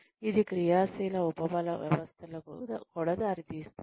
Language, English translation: Telugu, It also leads to active reinforcement systems